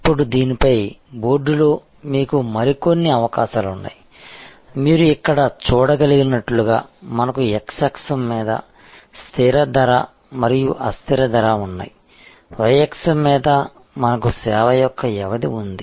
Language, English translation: Telugu, Now, on this, on the board you have another set of possibilities, as you can see here we have fixed price and variable price on the x axis, on the y axis we have the duration of the service